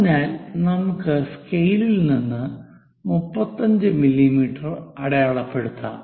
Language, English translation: Malayalam, So, let us mark 35 mm scale